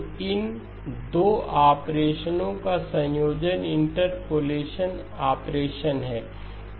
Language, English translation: Hindi, So the combination of these 2 operations is the interpolation operation